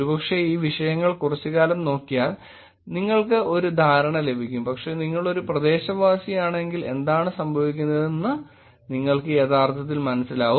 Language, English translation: Malayalam, Maybe, by looking at these topics for sometime you will get a sense but I think if you are a localite you will probably also understand what is going on